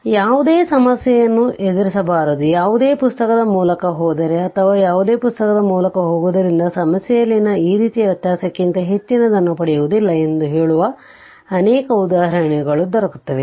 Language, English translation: Kannada, So, many examples giving such that you should not face any problem, if you go through any book I will say that any book you go through you will not get more than this kind of variation in the problem